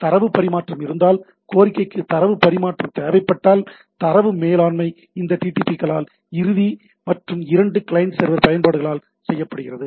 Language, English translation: Tamil, If the request require the transfer of data if there is a data transfer involved, the data management is performed by this DTPs, right both the end and both the client server applications, right